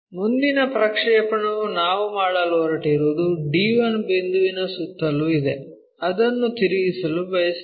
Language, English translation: Kannada, And the next projection what we are going to make is around the d 1 point, we want to rotate it